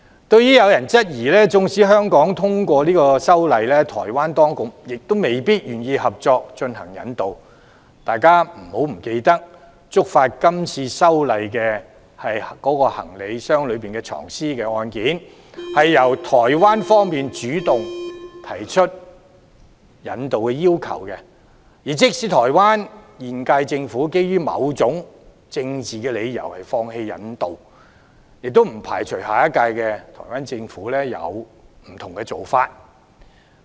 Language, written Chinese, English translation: Cantonese, 對於有人質疑，縱使香港通過修例，台灣當局亦未必願意接納，大家不要忘記，觸發今次修例的行李箱藏屍案件，是由台灣方面主動提出引渡要求，即使台灣現屆政府基於某種政治理由而放棄引渡，也不排除下一屆台灣政府會有不同的做法。, Some people query that the Taiwan authorities may not be willing to accept the legislative amendments even if they are passed in Hong Kong . However we must not forget that the current legislative amendment exercise is triggered by the homicide case involving a dead body being stuffed in a suitcase and the Taiwan authorities took the initiative to request the extradition of the suspect . Even if the incumbent Taiwan Government forsakes the extradition request owing to certain political considerations we cannot rule out that the Taiwan Government of the next term will take a different approach